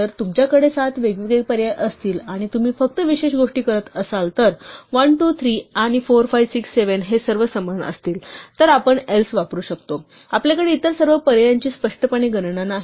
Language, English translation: Marathi, So, if you have say seven different options, and you are only doing special things so 1, 2, 3, and 4, 5, 6, 7 are all the same then we can use else; we do not have explicitly enumerate all the other option